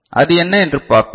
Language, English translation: Tamil, So, what is it, so let us see